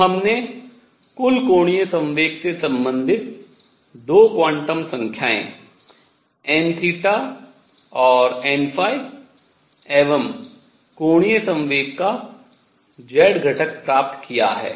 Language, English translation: Hindi, So, we have found 2 quantum numbers n theta and n phi related to the total momentum and z of angular momentum